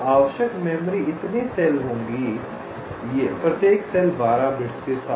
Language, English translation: Hindi, so the memory required will be so many cells, each cell with twelve bits